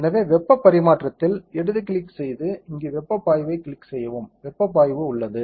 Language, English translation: Tamil, So, go left click on heat transfer and click heat flux here, heat flux is there